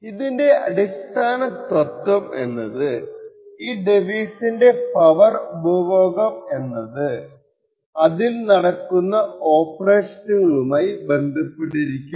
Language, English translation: Malayalam, The basic fact over here is that the power consumed by this particular device is correlated with the operations that the device does